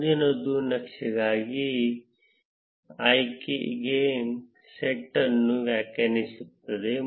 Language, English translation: Kannada, Next is defining the set of options for the chart